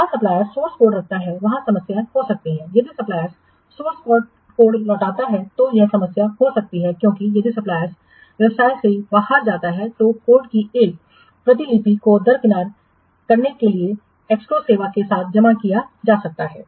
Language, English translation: Hindi, If the supplier retains the source code may be a problem because if the supplier goes out of the business to circumvent a copy of code could be deposited with an escrow service